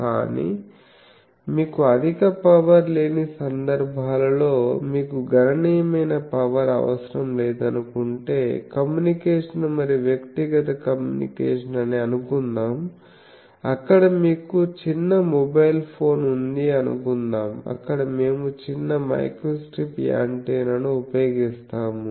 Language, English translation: Telugu, But, those cases where you are not having high power you are not having sizable power suppose our communication and all those things the personal communication all those, there you have small mobile phone smaller there we use microstrip antenna